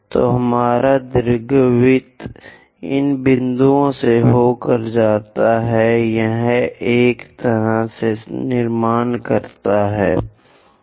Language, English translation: Hindi, So, my our ellipse goes via these points; this is the way one has to construct